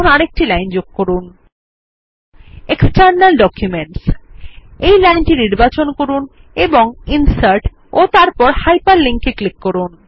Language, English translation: Bengali, Now add another line item: External Document Select the line of text and click on Insert and then on Hyperlink